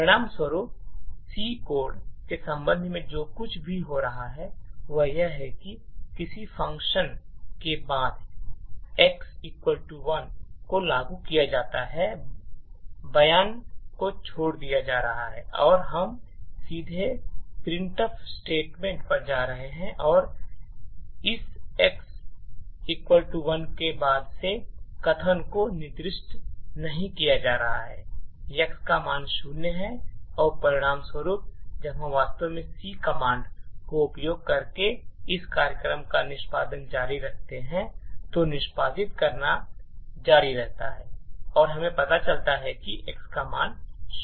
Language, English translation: Hindi, As a result what is happening with respect to the C code is that after a function is invoked the x equal to 1 statement is getting skipped and we are directly going to the printf statement and since this x equal to 1 statement is not being executed the value of x continues to be zero and as a result when we actually continue the execution of this program using the C command which stands for continue to execute, then we get that the value of x is zero